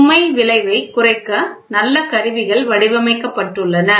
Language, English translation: Tamil, Good instruments are designed to minimize the load effect